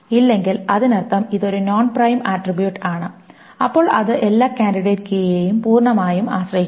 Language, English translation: Malayalam, If not, that means it is a non prime attribute, then it is fully functionally dependent on every candidate key